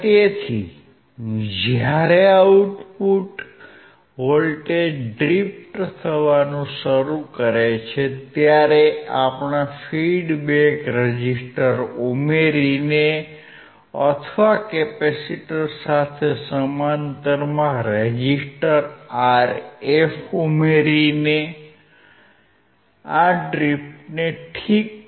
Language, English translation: Gujarati, So, when the output voltage starts to drift, we can fix this drift by adding a feedback resistor or by adding a resistor Rf across the capacitor